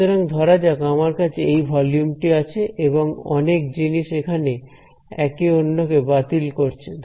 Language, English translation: Bengali, So, let us say I have a volume like this multiple things that have been canceled off over here